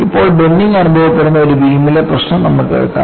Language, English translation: Malayalam, Now, let us take the problem of a beam under bending